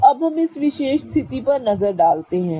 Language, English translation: Hindi, So, now let us look at this particular situation